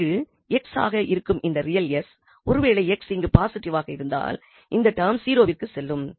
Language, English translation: Tamil, So, this is valid when s is positive because that condition we got from here that when s positive then only this term will go to 0